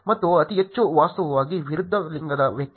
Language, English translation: Kannada, And the highest was actually person of opposite gender